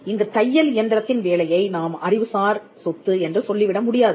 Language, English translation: Tamil, We do not say the work of the sewing machine as something intellectual property